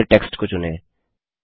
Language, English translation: Hindi, Select the entire text now